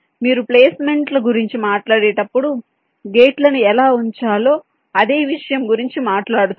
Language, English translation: Telugu, when you talk about placements, you are talking about the same thing: how to place the gates